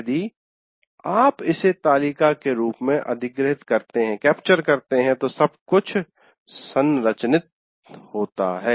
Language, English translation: Hindi, If you capture it in the form of a table, it will, everything is structured